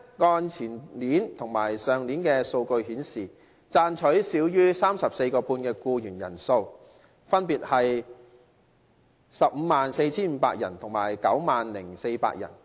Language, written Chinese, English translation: Cantonese, 按前年及去年的數據顯示，賺取少於每小時 34.5 元的僱員人數分別為 154,500 人和 90,400 人。, According to the data of last year and the year before that the numbers of employees earning less than 34.5 per hour were 154 500 and 90 400 respectively